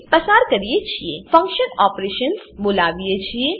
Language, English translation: Gujarati, Again we call function operations